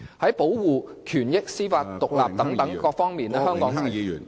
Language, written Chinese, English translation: Cantonese, 在保護權益、司法獨立等方面，香港......, In the protection of rights judicial independence and so on Hong Kong